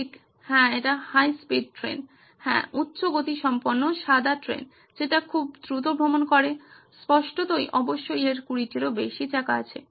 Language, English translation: Bengali, Right, yes that is high speed train yeah, high speed white train travel very fast obviously more than 20 wheels